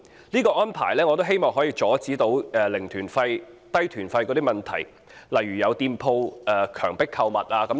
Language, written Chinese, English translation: Cantonese, 這安排可以阻止"零團費"、"低團費"的問題，如果有店鋪強迫購物，可以舉報。, This arrangement will help avoid the problem of zero - fare and low - fare tour groups and cases of coerced shopping in shops can be reported